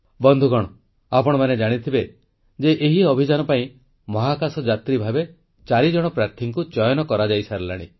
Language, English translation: Odia, Friends, you would be aware that four candidates have been already selected as astronauts for this mission